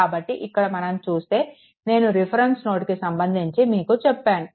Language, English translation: Telugu, So, hear you have the I told you that with respect to that reference nodes